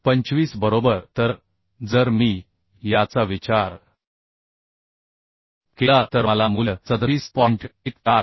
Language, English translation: Marathi, 25 right So if I consider this then I will get the value as 37